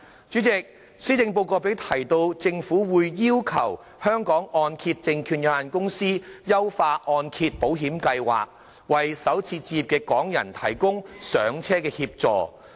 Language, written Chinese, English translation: Cantonese, 主席，施政報告亦提及政府會要求香港按揭證券有限公司優化按揭保險計劃，為首次置業的港人提供"上車"的協助。, President the Policy Address also mentioned that the Hong Kong Mortgage Corporation Limited would be requested to look into means of refining the Mortgage Insurance Programme so that more assistance can be provided to first - time home buyers who are Hong Kong residents